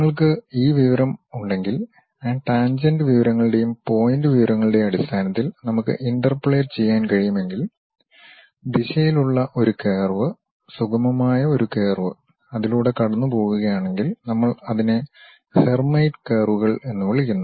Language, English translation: Malayalam, If we have this information, a curve in the direction if we can interpolate based on those tangent information's and point information, a smooth curve if we are passing through that we call that as Hermite curves